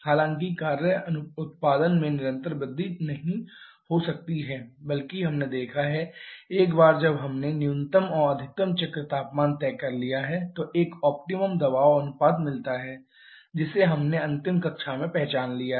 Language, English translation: Hindi, However the work output may not keep on increasing continuously rather we have seen that once we have fixed up the minimum and maximum cycle temperatures there is an optimum pressure ratio which we have identified in the last class